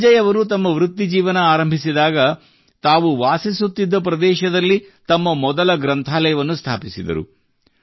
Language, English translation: Kannada, When Sanjay ji had started working, he had got the first library built at his native place